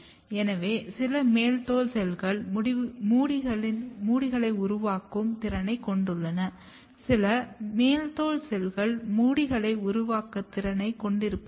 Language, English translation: Tamil, So, some of the epidermal cells, they have capability to make the hairs; some of the epidermal cells they do not have capability to make the hairs